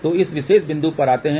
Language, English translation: Hindi, So, come to this particular point